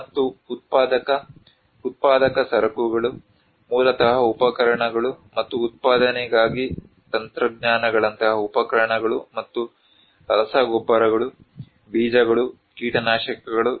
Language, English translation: Kannada, And the production producer goods like basically tools and technologies like tools and equipments for production, fertilizers, seeds, pesticides